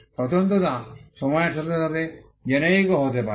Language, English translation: Bengali, The distinctiveness can also become generic over a period of time